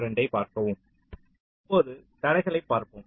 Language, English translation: Tamil, fine, lets look at the constraints now